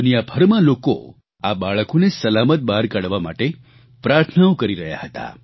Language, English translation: Gujarati, The world over, people prayed for the safe & secure exit of these children